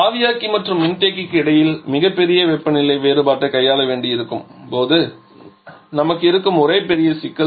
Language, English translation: Tamil, And one big problem that we have is when we have to deal with a very large difference temperature difference between the evaporator and condenser